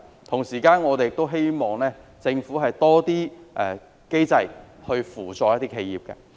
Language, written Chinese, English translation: Cantonese, 同時，我們亦希望政府設立更多機制來扶助企業。, At the same time we also hope that the Government can put in place more mechanisms to assist businesses